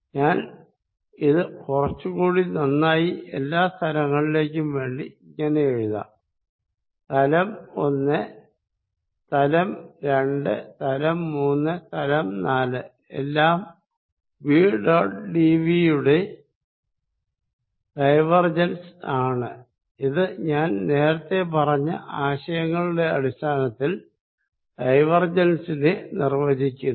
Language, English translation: Malayalam, Let me write it even better some over all the surfaces, surface 1, surface 2, surface 3, surface 4 this is nothing but equal to divergence of v dot d volume and this defines divergence consistent with the ideas I was talking about earlier